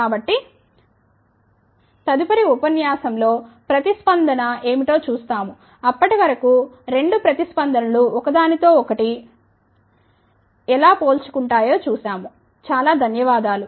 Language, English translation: Telugu, So, in the next lecture we will see what is the response, how the two responses compare with each other the till then, thank you very much